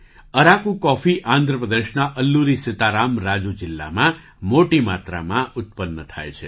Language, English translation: Gujarati, Araku coffee is produced in large quantities in Alluri Sita Rama Raju district of Andhra Pradesh